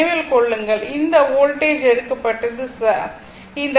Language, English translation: Tamil, Remember, this voltage is taken is ok